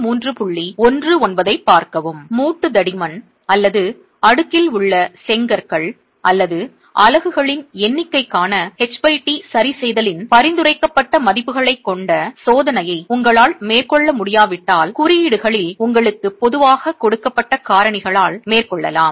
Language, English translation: Tamil, If you are unable to carry out a test with prescribed values of H by T, adjustments for the joint thickness or the number of layers of bricks or units in the stack can be carried out by factors typically given to you in codes